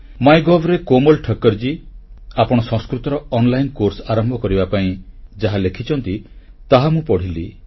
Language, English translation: Odia, I read a post written on MyGov by Komal Thakkar ji, where she has referred to starting online courses for Sanskrit